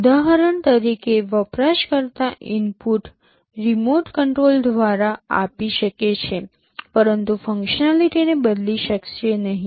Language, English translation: Gujarati, The user can give inputs for example, through the remote controls, but cannot change the functionality